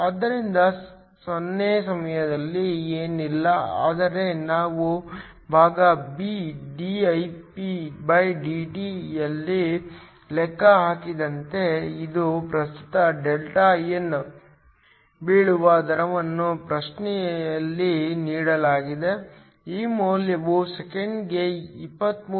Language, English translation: Kannada, So, Δn at time 0 is nothing but what we calculated in part a, dIpdt which is the rate at which the current falls is given in the question this value is 23